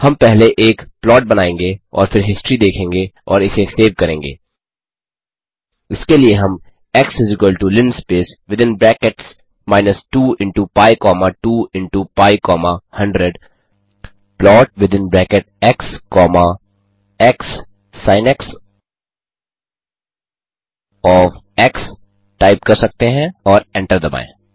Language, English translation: Hindi, We shall first make a plot and then view the history and save it, for that we can type x = linspace within brackets minus 2 into pi comma 2 into pi comma 100 plot within bracket x comma xsinx cosx and hit enter We got an error saying xsinx is not defined